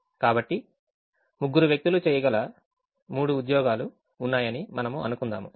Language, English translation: Telugu, so we will assume that there are three jobs that can be done by three people